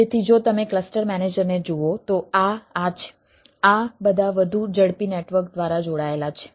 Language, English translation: Gujarati, if you look at the cluster manager, these are all connected through a high speed ah network